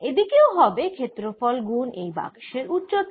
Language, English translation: Bengali, this will also be area times this box